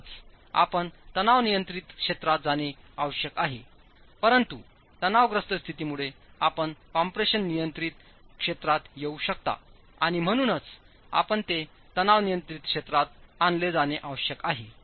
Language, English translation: Marathi, So it is required that you fall into the tension control region, but given the state of stresses, you could be in the compression control region and therefore you need to bring it into the tension control region